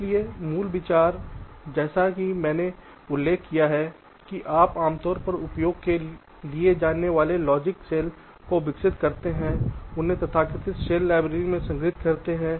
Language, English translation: Hindi, so, basic idea: as i have mentioned, you develop the commonly used logic cells and stored them in a so called cell library